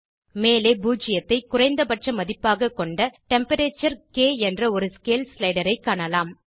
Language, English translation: Tamil, On the top you can see Temperature: scale slider with zero as minimum value